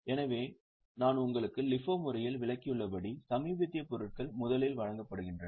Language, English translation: Tamil, So, as I have just explained you, in LIFO method, the assumption is the latest goods are issued out first